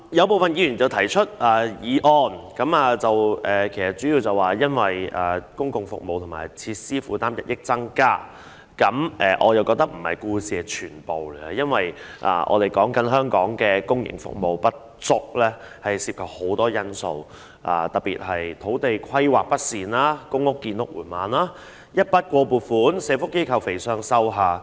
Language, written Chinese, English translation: Cantonese, 部分議員提出議案的主要目的，是因為公共服務和設施的負擔日益增加，但我認為這並非故事的全部，因為香港公營服務不足涉及很多因素，特別是土地規劃不善、公屋建屋進度緩慢、一筆過撥款令社福機構"肥上瘦下"。, Some Members try to raise the issue for discussion today mainly because an increasingly heavy burden is imposed on our public services and facilities but I think this is not the whole story . The inadequacies of public services in Hong Kong can be attributed to many factors especially improper land planning slow progress of public housing construction programmes and the problem of fattening the top at the expense of the bottom in social welfare organizations under the Lump Sum Grant Subvention System